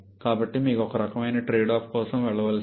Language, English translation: Telugu, So, you may have to go for some kind of trade off